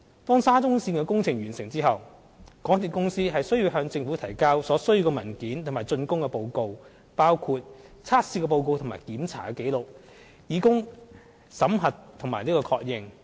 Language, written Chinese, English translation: Cantonese, 當沙中線工程完成後，港鐵公司須向政府提交所需文件及竣工報告，包括測試報告和檢查紀錄，以供審核並確認。, When the SCL project is completed MTRCL shall submit the required documents and the completion report including the test report and inspection records to the Government for examination and confirmation